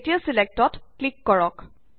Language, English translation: Assamese, Now click on Select